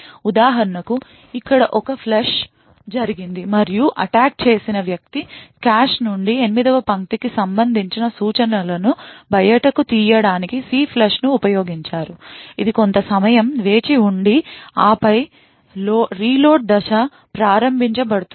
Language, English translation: Telugu, So over here for example, there is a flush that has happened and the attacker has used CLFLUSH to flush out the instructions corresponding to line 8 from the cache, it waits for some time and then the reload step is triggered